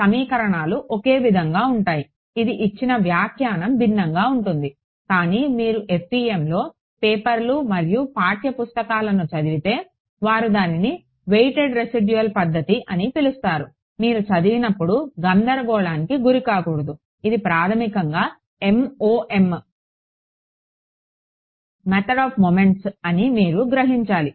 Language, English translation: Telugu, The equations are same this is a interpretation given is different ok, but if you read papers and text books on the fem they will call it a weighted residual method; when you read that you should not get confused, you should realize; it is basically MOM Method of Moments right